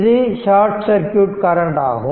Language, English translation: Tamil, So, this is short circuit